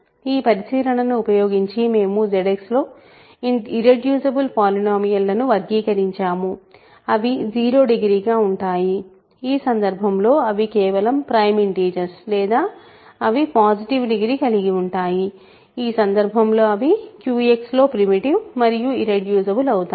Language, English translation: Telugu, So, using this observation we have characterized irreducible polynomials in Z X they are either degree 0 in which case they are just prime integers or they are positive degree in which case they are primitive and irreducible in Q X